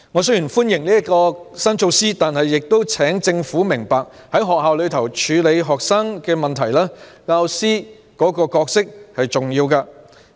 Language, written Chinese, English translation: Cantonese, 雖然我歡迎這項新措施，但我亦請政府明白，在學校處理學生問題方面，教師扮演很重要的角色。, Although I welcome this new measure I hope the Government will understand that teachers play very important roles in tackling student problems in schools